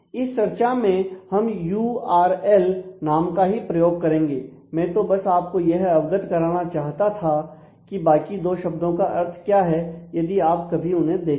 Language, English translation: Hindi, In this context of our discussion we will continue to use the term URL only, but I just wanted you to be aware of the other two terms in case you come across them in the text